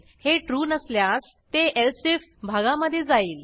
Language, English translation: Marathi, If this is not true , it will go into the elsif section